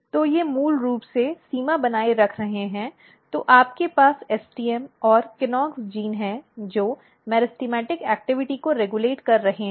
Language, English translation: Hindi, So, they are basically maintaining the boundary then, you have STM and KNOX gene which is regulating the meristematic activity